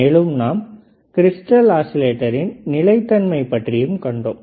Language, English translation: Tamil, We have also seen how this stability factor affects the crystal oscillator